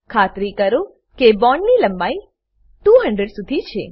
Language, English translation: Gujarati, Ensure that bond length is around 200